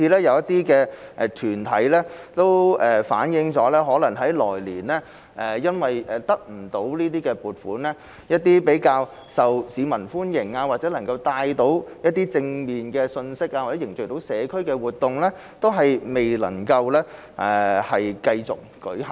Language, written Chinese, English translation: Cantonese, 有些團體亦反映，因為來年不獲撥款，一些較受市民歡迎或能夠帶來正面信息或凝聚社區的活動未能繼續舉行。, Some organizations have also reflected that owing to the lack of funding support in the coming year some activities that are popular among the public or that can bring positive message or bring community members together can no longer be held